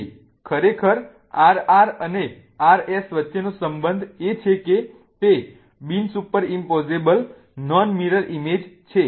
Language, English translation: Gujarati, So, really the relationship between RR and RS is their non superimposable non mirror images